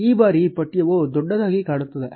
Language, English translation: Kannada, This time the text does look bigger